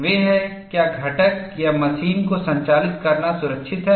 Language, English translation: Hindi, They are Is it safe to operate the component or machine